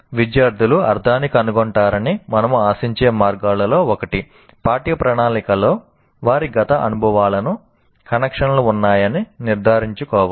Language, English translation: Telugu, And one of the ways we expect students to find meaning is to be certain that the curriculum contains connections to their past experiences